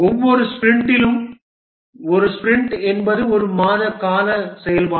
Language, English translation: Tamil, In each sprint, a sprint is a month long activity